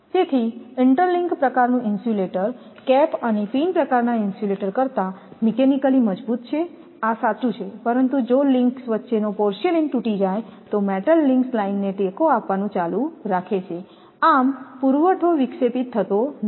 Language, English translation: Gujarati, So, therefore, the interlink type insulator is mechanically stronger than the cap and pin type that is correct, but the metal links continue to support the line if the porcelain between the links breaks thus the supply is not interrupted